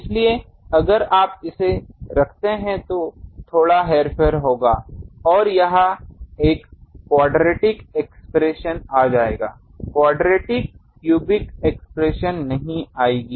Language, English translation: Hindi, So, if you put it there will be a bit manipulation and also there is a quadratic expression will come, not quadratic cubic expression will come